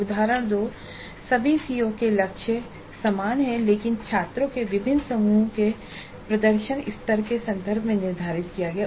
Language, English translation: Hindi, Example 2 targets are the same for all CEOs but are set in terms of performance levels of different groups of students